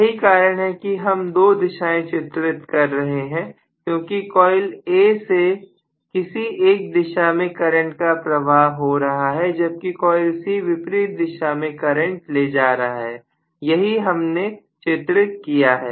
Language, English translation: Hindi, That is why we are drawing the two direction that is A coil is carrying current in one direction whereas C coil is carrying current in the opposite direction that is what we have drawn